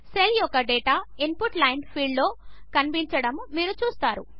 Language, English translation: Telugu, You see that the data of the cell is displayed in the Input line field